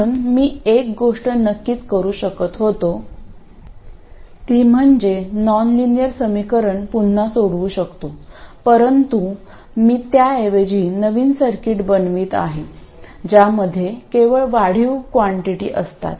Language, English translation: Marathi, So, one thing I could do of course is go through the process of solving the nonlinear equation again, but what I do instead is make a new circuit which consists only of incremental quantities